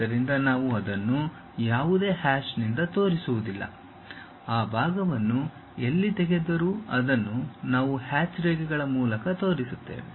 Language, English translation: Kannada, So, we do not show it by any hatch; wherever material has been removed that part we will show it by hatched lines